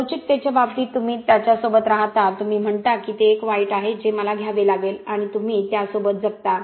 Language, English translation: Marathi, In terms of ductility you live with it you say that ok that is a necessary evil that I have to take with and you live with it